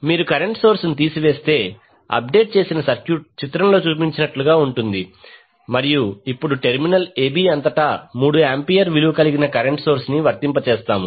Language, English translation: Telugu, If you remove the current source the updated circuit will be like shown in the figure and now, across terminal a b we apply a current source having value 3 ampere